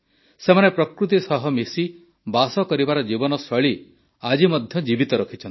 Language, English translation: Odia, These people have kept the lifestyle of living in harmony with nature alive even today